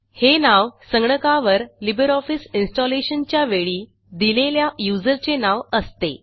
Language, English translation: Marathi, The name is provided based on the name given during installation of LibreOffice as the user on the computer